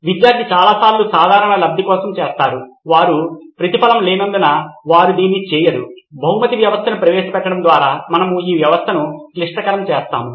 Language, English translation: Telugu, Lots of times student do it for general good, they do not do it because they need a reward, maybe we’re complicating this system by introducing the reward system